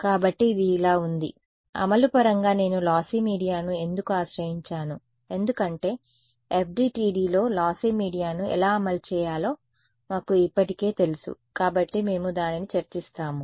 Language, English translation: Telugu, So, this is so, in terms of implementation why did I sort of take recourse to lossy media because we already know how to implement lossy media in FDTD is not it we will discuss that